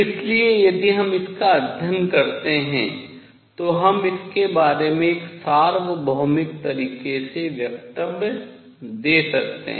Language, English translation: Hindi, So, if we study it, we can make statements about it in a universal way